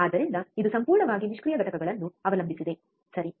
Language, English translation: Kannada, So, it completely relies on the passive components, alright